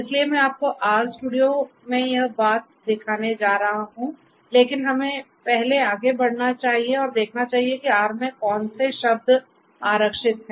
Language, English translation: Hindi, So, I am going to show you this thing in the R studio, but let us first proceed further and see that what are these reserved the words in R